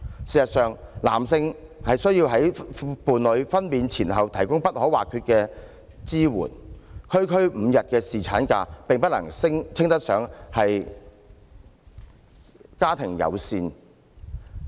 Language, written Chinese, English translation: Cantonese, 事實上，男性須在伴侶分娩前後提供各種必要的支援，政策提供區區5天侍產假並不能稱得上家庭友善。, As a matter of fact men are obliged to provide all sorts of necessary support before and after their partners delivery . A policy initiative that seeks to introduce a meagre five - day paternity leave is far from being family - friendly